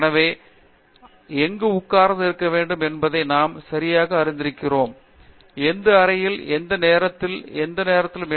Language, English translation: Tamil, So, we know exactly where we need to be sitting in, which room, in which seat, perhaps at which time and so on